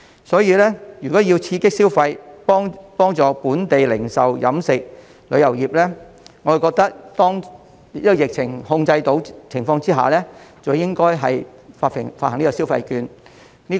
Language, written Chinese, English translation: Cantonese, 所以，如果要刺激消費，幫助本地零售、飲食及旅遊業，我覺得在疫情受控的情況下，便應該發放消費券。, So if the Government wishes to stimulate spending and help local retail trades the catering and tourism industries I hold that it should hand out shopping vouchers when the pandemic is under control